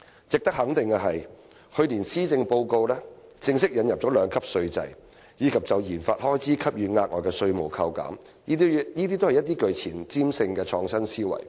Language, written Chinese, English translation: Cantonese, "值得肯定的是，去年的施政報告正式引入利得稅兩級制，以及就研發開支給予額外的稅務扣減，這些都是具前瞻性的創新思維。, It is worth recognizing that last years Policy Address officially introduced a two - tier profits tax system and announced additional tax deductions for research and development expenditure . These are forward - looking and innovative ideas